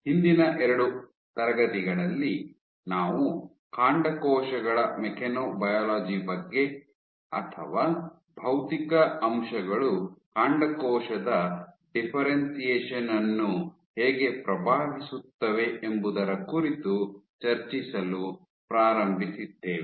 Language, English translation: Kannada, So, in the last two classes, we had started discussing about mechanobiology of stem cells or how physical factors can influence stem cell differentiation